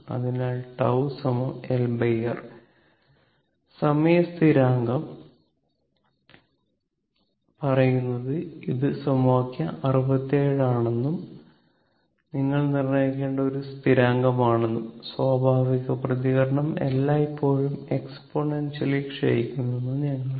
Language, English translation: Malayalam, So, tau is equal to L by R, the time constant say this is equation 67 and a is a constant which you have to determine and we know that natural response is always a what you call decaying exponential